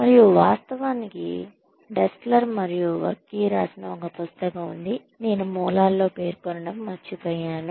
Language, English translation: Telugu, And of course there is a book by Dessler and Varkkey that I forgot to mention in the sources